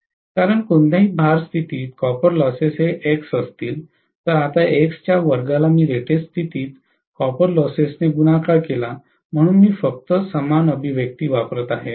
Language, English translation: Marathi, Because, copper losses at any load condition x if x square multiplied by copper losses at rated condition, so I am just using the same expression